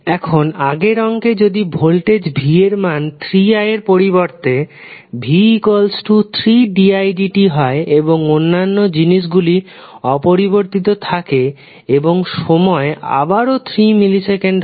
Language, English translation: Bengali, Now, if in the previous problem if voltage is given like 3 di by dt instead of 3i and other things are same and time t is equal to again 3 millisecond